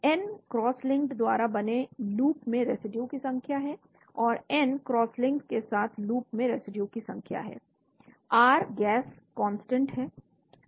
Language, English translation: Hindi, n is number of residues in the loop formed by the cross linked, and n is the number of residues in the loop formed with the cross linked, R is is the gas constant